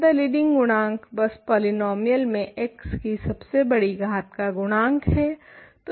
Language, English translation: Hindi, So, the leading coefficient is simply the coefficient which is in front of the largest power of x in your polynomial